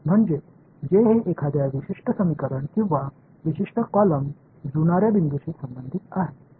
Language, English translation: Marathi, I mean which does it correspond to a particular equation or a particular column the matching point